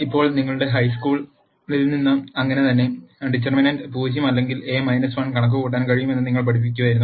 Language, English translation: Malayalam, Now from your high school and so on, you would have learned that if the determinant is not 0, A inverse is possible to compute